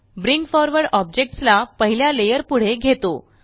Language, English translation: Marathi, Bring Forward brings an object one layer ahead